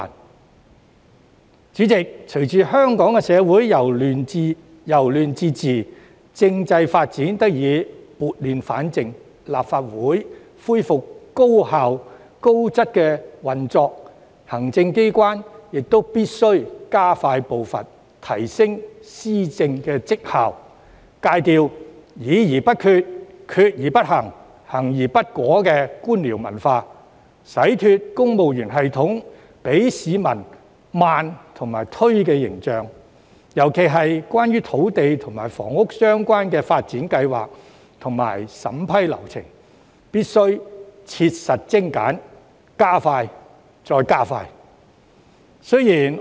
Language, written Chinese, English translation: Cantonese, 代理主席，隨着香港社會由亂至治，政制發展得以撥亂反正，立法會恢復高效、高質的運作，行政機關亦必須加快步伐，提升施政績效，戒掉議而不決、決而不行、行而不果的官僚文化，洗脫公務員系統給市民緩慢和推卸的形象，尤其是在土地及房屋相關的發展計劃和審批流程方面，更必須切實精簡，加快後再加快。, Deputy President as Hong Kong is moving from chaos to governance our constitutional development has been brought back to order and the Legislative Council has resumed highly efficient and effective operations the Executive Authorities should enhance their efficiency and governance performance also by abandoning the bureaucratic culture of engaging in discussions without making decisions making decisions without implementation and taking actions that are not effective as well as ridding the civil service system of its inefficient and buck - passing image . In particular specific measures should be adopted to further expedite and streamline the implementation of land and housing development plans as well as the relevant vetting and approval procedures